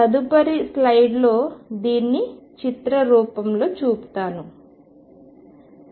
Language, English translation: Telugu, Let me show this pictorially in the next slide